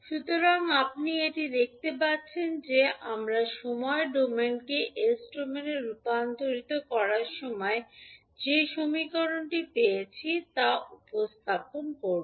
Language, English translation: Bengali, So, this you can see that will represent the equation which we just derived while we were transforming time domain into s domain